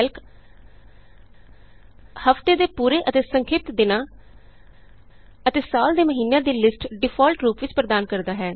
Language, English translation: Punjabi, Calc provides default lists for the full and abbreviated days of the week and the months of the year